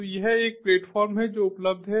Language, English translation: Hindi, so what are the different platform that are available